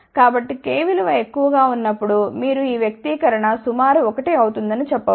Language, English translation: Telugu, So, if k is very large you can say this expression will become approximately 1